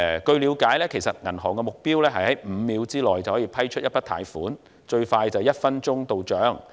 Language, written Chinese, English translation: Cantonese, 據了解，銀行的目標是在5秒內批出一筆貸款，最快在1分鐘內到帳。, It is learned that the goal of the bank is to approve a loan in five seconds and have it delivered to an account rapidly within one minute